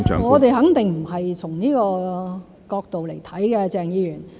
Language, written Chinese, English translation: Cantonese, 我們肯定不是從這個角度來看的，鄭議員。, We are definitely not looking at it from this perspective Dr CHENG